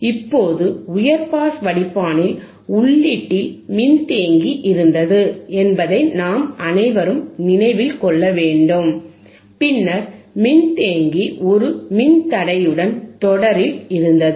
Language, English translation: Tamil, Now, we all remember, right, we should all remember that in high pass filter, there was capacitor at the input, and then capacitor was in series with a resistor